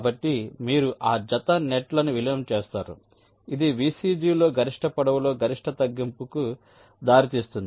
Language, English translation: Telugu, ok, so you merge those pair of nets which will lead to the maximum reduction in the maximum length in vcg